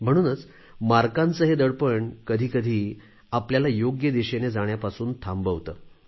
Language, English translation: Marathi, And therefore this burden of hankering for marks hinders us sometimes from going in the right direction